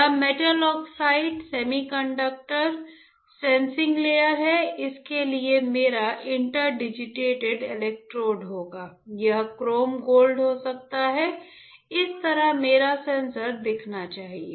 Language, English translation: Hindi, This is metal oxide semiconductor sensing layer, this for will be my inter digitated electrodes, it can be chrome gold this is how my sensor should look like all right